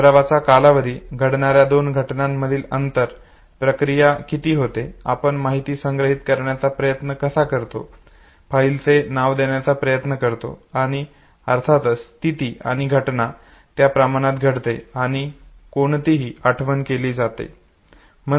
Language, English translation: Marathi, The time of practice, the space between two events that takes place, how much of processing, how we try to store the information, the file name that we try to give, and of course the state and the context in which the event happen and which the recollection is being made